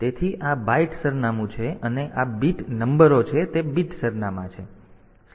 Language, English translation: Gujarati, So, these are the byte address and these are the bit numbers they are the bit addresses